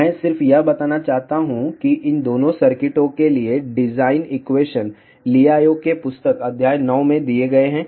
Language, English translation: Hindi, I just want to mention that design equations for both these circuits are given in Liao's book chapter 9